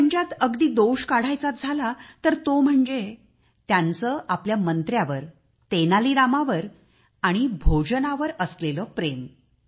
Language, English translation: Marathi, If at all there was any weakness, it was his excessive fondness for his minister Tenali Rama and secondly for food